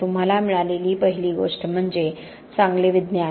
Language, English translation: Marathi, The first thing you got is good science